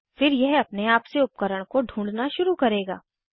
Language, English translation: Hindi, Then it will automatically begin searching for drivers